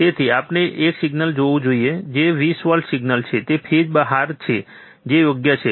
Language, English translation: Gujarati, So, we should see a signal which is 20 volt signal is out of phase that is correct, right